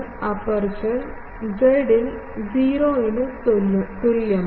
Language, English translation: Malayalam, The aperture is in the z is equal to 0 plane